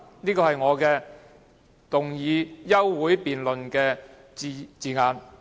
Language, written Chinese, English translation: Cantonese, "，這是我動議休會待續議案的措辭。, This is the wording of the motion for adjournment moved by me